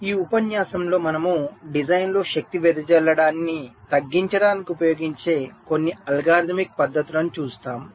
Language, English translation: Telugu, so in this lecture we shall be looking at some of the algorithmic techniques that you can use to reduce the power dissipation in a design